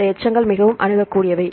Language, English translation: Tamil, So, these residues are highly accessible